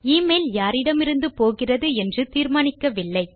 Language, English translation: Tamil, We havent determined who the email is from